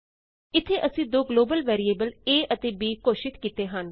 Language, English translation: Punjabi, Here we have declared two global variables a and b